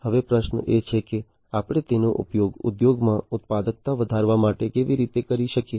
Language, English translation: Gujarati, Now, the question is that how we can use it for increasing the productivity in the industries